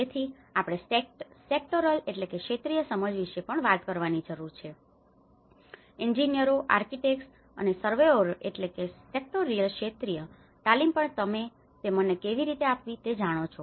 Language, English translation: Gujarati, So, we also need to talk about the sectoral understanding, the sectoral training of engineers, architects, and surveyors also the masons you know how to train them